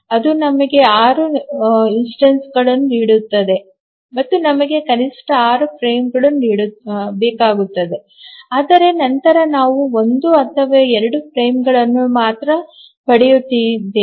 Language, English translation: Kannada, So that gives us six instances and we need at least six frames but then we are getting only either one or two frames